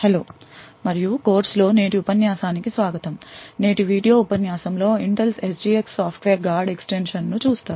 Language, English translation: Telugu, Hello and welcome to today’s lecture in the course for secure systems engineering so in today's video lecture will be looking at Intel’s SGX Software Guard Extensions